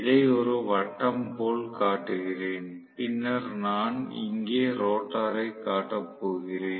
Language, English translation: Tamil, Let me just show it like this a circle and then I am going to show the rotor here